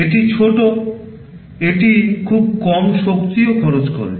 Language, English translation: Bengali, It is small, it also consumes very low power